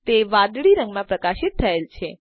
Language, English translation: Gujarati, It is highlighted in blue